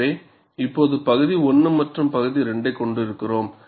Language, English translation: Tamil, So, now we have region 1 as well as region 2